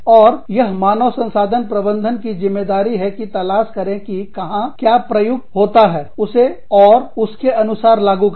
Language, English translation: Hindi, And, it is the responsibility of the human resource manager to find out, what is applicable, where, and implemented, accordingly